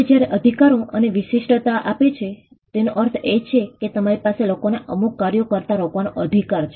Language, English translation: Gujarati, Now, when rights offer you exclusivity; it means that you have a right to stop people from doing certain acts